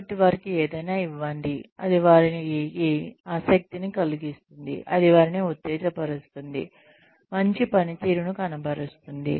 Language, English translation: Telugu, So, give them something, that will make them interested, that will stimulate them, to perform better